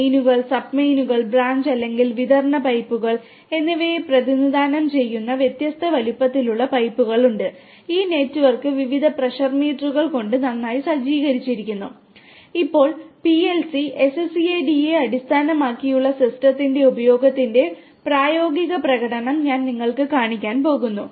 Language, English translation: Malayalam, There are pipes of different sizes which represents mains, sub mains and the branch or distribution pipes and this network is nicely equipped with the various pressure meters